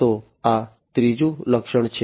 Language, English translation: Gujarati, So, this is the third feature